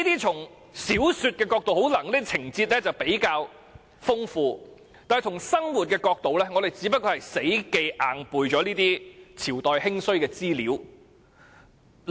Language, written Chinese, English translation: Cantonese, 從小說角度來看，這些情節可能比較豐富，但從生活角度來看，學生只不過是死記硬背那些朝代興衰的資料。, From the point of view of novels these may make colourful plots but from the point of view of real life these are only information on the rise and decline of dynasties that students have to learn by rote